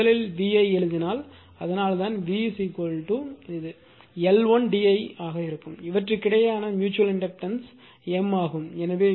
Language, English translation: Tamil, So, that is why first if you write the V V is equal to it will be L 1 d I and their mutual inductor between them is M right